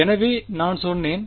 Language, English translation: Tamil, So, I call I said